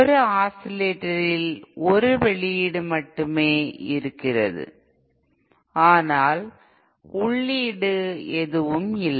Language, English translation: Tamil, In an oscillator, there is no input as such there is only an output